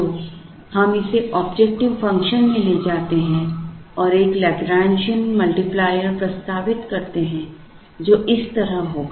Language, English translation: Hindi, So, we take it into the objective function and introduce a Lagrangian multiplier, which will be like this